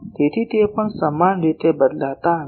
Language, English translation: Gujarati, So, they are not vary equally in the also